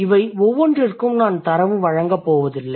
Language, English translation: Tamil, I'm, I'm not really going to give you data for each of them